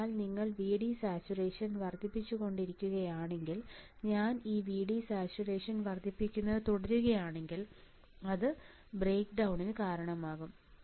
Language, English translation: Malayalam, So, if you keep on increasing VD saturation, if I keep on increasing this VD saturation right it will cause a breakdown